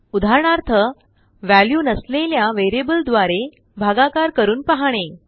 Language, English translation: Marathi, For example: Trying to divide by a variable that contains no value